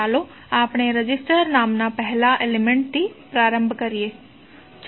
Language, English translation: Gujarati, So let start with the first element called resistor